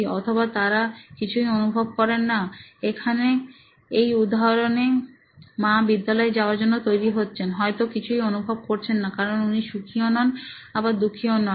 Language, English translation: Bengali, Or they do not feel anything, like in this case mom getting ready for school she does not probably feel anything as she is happy or not